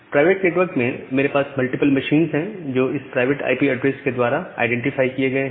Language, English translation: Hindi, Now, in the private network, I have multiple machines who are identified by this private IP addresses